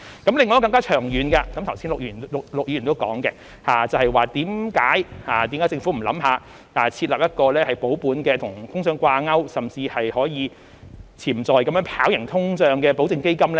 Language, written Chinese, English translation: Cantonese, 另一個更長遠的，剛才陸議員亦有提到，為何政府不考慮設立一個保本並與通脹掛鈎，甚至是可以潛在能夠跑贏通脹的保證基金？, Another issue of a longer - term which Mr LUK has also mentioned earlier is why the Government has not considered setting up a guaranteed fund an inflation - linked capital - preservation fund which even has the potential to outperform inflation